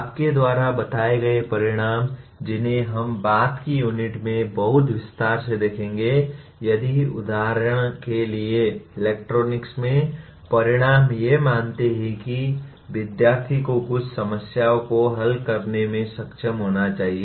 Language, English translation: Hindi, Your stated outcomes which we will see in great detail in the later units, if the outcome for example considers the student should be able to solve certain problems let us say in electronics